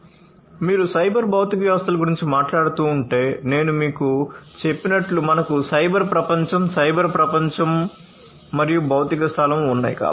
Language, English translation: Telugu, So, if you are talking about cyber physical systems, we have as I told you we have the cyber world, the cyber world, and the physical space, right